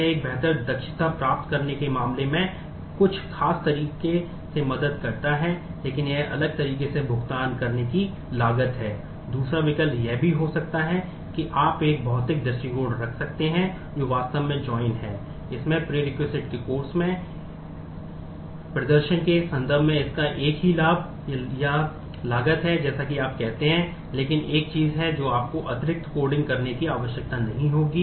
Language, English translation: Hindi, So, it does help in certain way in terms of getting a better efficiency, but it there is a there is a cost to pay in a different way also the other alternative could be you can have a materialized view, which is actually the join in course of prerequisite